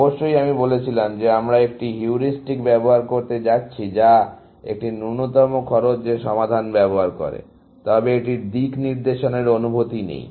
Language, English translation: Bengali, Of course, I said we are going to use a heuristic that uses a minimum cost solution, but it does not have a sense of direction, essentially